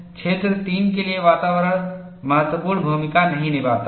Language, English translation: Hindi, For region 3, environment does not play a significant role